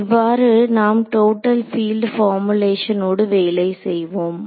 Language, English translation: Tamil, So, what is called the Total field formulation